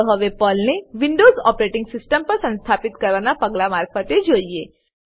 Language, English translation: Gujarati, Let us now go through the steps to install PERL on Windows Operating System